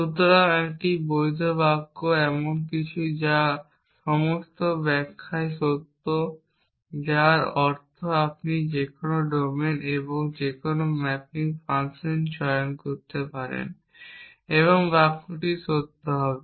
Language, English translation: Bengali, So, a valid sentence is something which is true in all interpretations, which means you can choose any domain and any mapping function and the sentence will be true